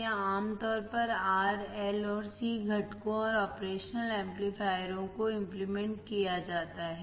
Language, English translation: Hindi, , and are usually implemented R, L and C components and operation amplifiers